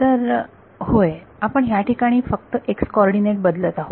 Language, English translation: Marathi, So, yeah, so we are changing only x coordinates over here